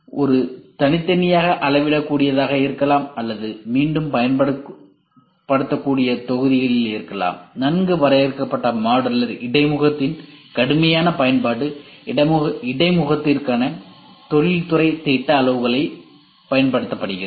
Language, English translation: Tamil, It can be discrete, scalable and it can be in the reusable modules; rigorous use of well defined modular interface making use of industrial standards for interface